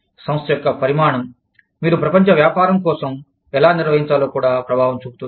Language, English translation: Telugu, The size of the organization, will also have an impact on, how you organize for global business